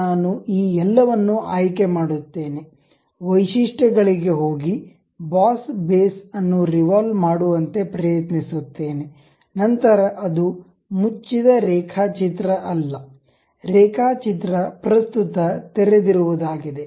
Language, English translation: Kannada, I will select this entire one, go to features, try to revolve boss base, then it says because it is not a closed sketch, the sketch is currently open